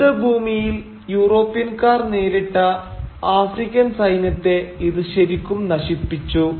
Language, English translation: Malayalam, And this really decimated the African military that the Europeans encountered in the battlefield